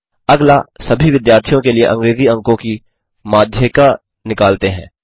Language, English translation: Hindi, Next, let us calculate the median of English marks for the all the students